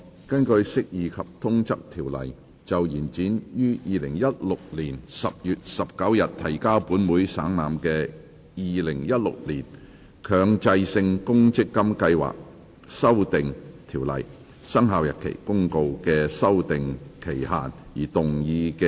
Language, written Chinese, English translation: Cantonese, 根據《釋義及通則條例》就延展於2016年10月19日提交本會省覽的《〈2016年強制性公積金計劃條例〉公告》的修訂期限而動議的擬議決議案。, Proposed resolution under the Interpretation and General Clauses Ordinance to extend the period for amending the Mandatory Provident Fund Schemes Amendment Ordinance 2016 Commencement Notice which was laid on the Table of this Council on 19 October 2016